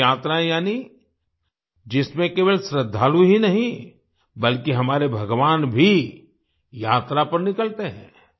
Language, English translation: Hindi, Dev Yatras… that is, in which not only the devotees but also our Gods go on a journey